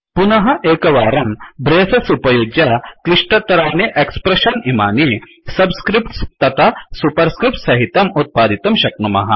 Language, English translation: Sanskrit, Once again using braces we can produce complicated expressions involving subscripts and superscripts